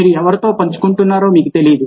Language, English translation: Telugu, you don't know if you are who you are sharing with